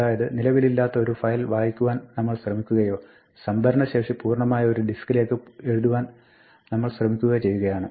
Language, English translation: Malayalam, So, we may be trying to read from a file, but perhaps there is no such file or we may be trying to write to a file, but the disc is actually full